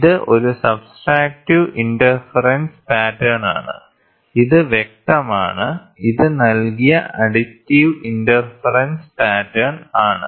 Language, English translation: Malayalam, So, this is subtractive interference pattern, which is clear, this is additive interference pattern it is given